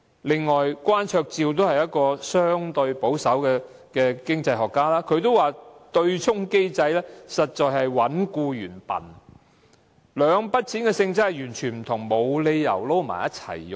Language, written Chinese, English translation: Cantonese, 此外，關焯照也是一位相對保守的經濟學家，他也表示對沖機制實在是"搵僱員笨"，兩筆供款的性質完全不同，沒有理由混在一起使用。, In addition Andy KWAN a relatively conservative economist has also indicated that the offsetting mechanism is indeed treating employees like fools . Since the two types of contributions are totally different in nature they should not be mixed and withdrawn